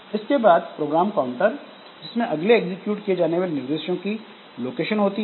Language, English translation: Hindi, Then the program counters, so it is the location of instruction to the next execute